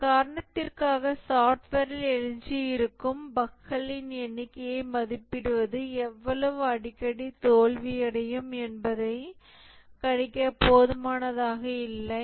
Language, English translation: Tamil, And for this reason, just estimating the number of errors that are remaining in the software is not good enough to predict how frequently it will fail